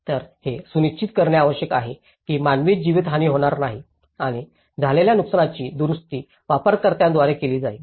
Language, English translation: Marathi, So, it has to ensure that there is no loss of human life and the damage that the damage produced would be repaired by the user themselves